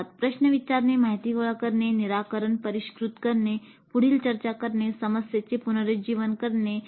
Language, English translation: Marathi, So it is a cycle of asking questions, information gathering, refining the solution, further discussion, revisiting the problem and so on